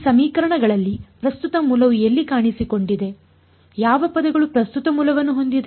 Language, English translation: Kannada, In these equations where did the current source find an appearance which of the terms contains the current source